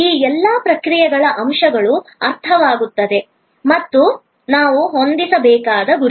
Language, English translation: Kannada, All this process points understands and the targets we have to set up